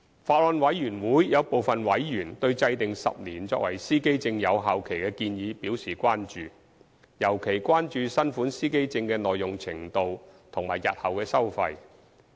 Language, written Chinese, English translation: Cantonese, 法案委員會有部分委員對制訂10年作為司機證有效期的建議表示關注，尤其關注新款司機證的耐用程度及日後的收費。, Some members of the Bills Committee are concerned about the proposal to stipulate a 10 - year validity period for driver identity plates and in particular the durability of the new driver identity plates and the fees to be charged for such plates in the future